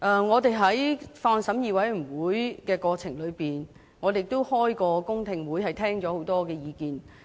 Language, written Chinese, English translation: Cantonese, 我們在法案委員會的審議過程中，也曾召開公聽會，聽過很多意見。, In the course of the scrutiny carried out by the Bills Committee public hearings were conducted and we listened to a lot of views